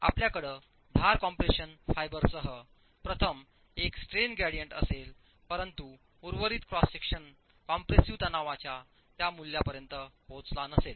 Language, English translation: Marathi, So, you will have a strain gradient with the edge compression fiber failing first whereas rest of the cross section has not reached that value of the compressive stress